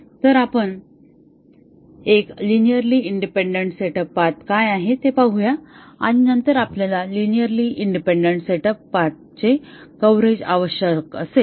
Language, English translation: Marathi, So, let us look at what is a linearly independent set up path and then we will require coverage of this linearly independent set up paths